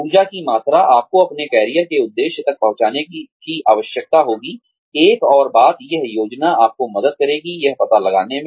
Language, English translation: Hindi, The amount of energy, you will need to reach, your career objective is, another thing, that planning will help you, figure out